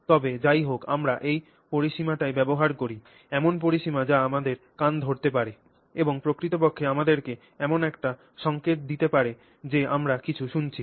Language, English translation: Bengali, But this is anyway the range that we use in our, the range that our ear can handle and can actually give us a signal that we are processing that we have heard something